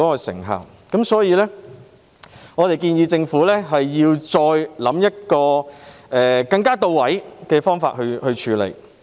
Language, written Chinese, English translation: Cantonese, 所以，我們建議政府再構思更到位的方法處理問題。, Therefore we suggest that the Government should come up with more targeted measures to deal with the issue